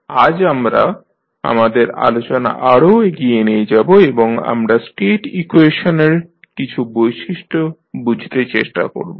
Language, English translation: Bengali, Today we will continue our discussion further and we will try to understand few properties of the State equation